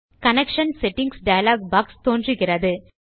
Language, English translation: Tamil, This opens up the Connection Settings dialog box